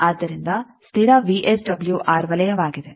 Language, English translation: Kannada, So, constant VSWR circle